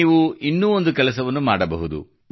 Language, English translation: Kannada, You can do one more thing